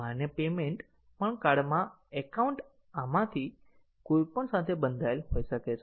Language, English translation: Gujarati, The validate payment also the account in the card can get bound to any of these